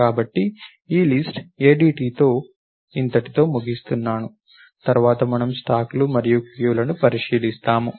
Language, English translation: Telugu, So, let us let me stop with this list ADT, and next we will look at stacks and queues